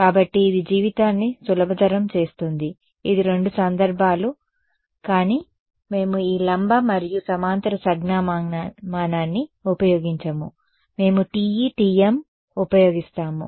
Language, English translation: Telugu, So, it makes life simple also this is the two cases, but we will not use this perpendicular and parallel notation, we will just use TE TM ok